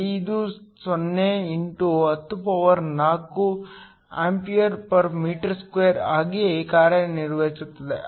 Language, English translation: Kannada, 50 x 104 amp m 2